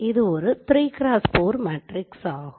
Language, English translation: Tamil, So each one is a 1 cross 3 sub matrix